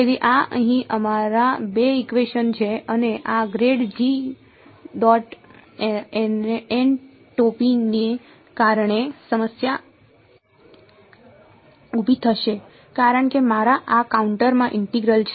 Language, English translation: Gujarati, So, these are our two equations over here and because of this grad g dot n hat there is going to be a problem right because in this contour integral of mine